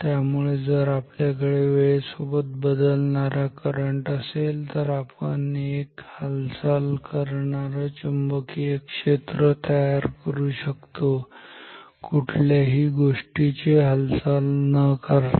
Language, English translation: Marathi, So, if we have time varying currents then we can create a moving magnetic field without moving any object physically